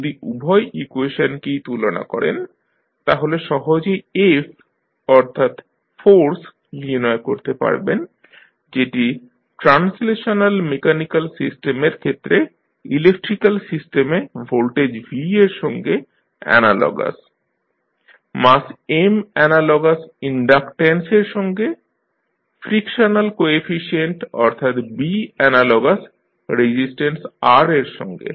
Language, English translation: Bengali, So, if you compare both of the equations, you can easily find out that F that is force in case of translational mechanical system is analogous to voltage V in the electrical system, mass M is analogous to inductance, frictional coefficient that is B is analogous to resistance R